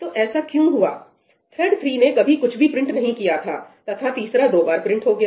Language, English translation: Hindi, So, why has this happened – thread three never printed anything and third one printed twice